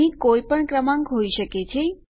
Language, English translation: Gujarati, We can have any number here